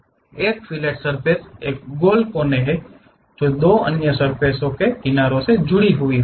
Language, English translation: Hindi, A fillet surface is a rounded corner, connecting the edges of two other surfaces